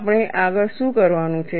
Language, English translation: Gujarati, What we have to do next